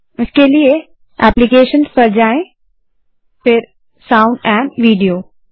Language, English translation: Hindi, For that go to Applications gt Sound amp Video